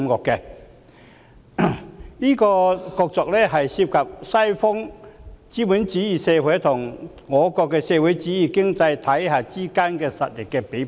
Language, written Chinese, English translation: Cantonese, 這場角逐涉及西方資本主義社會與我國的社會主義經濟體系之間的實力比拼。, This contest involves a test of strength between the Western capitalist society and the socialist economy of our country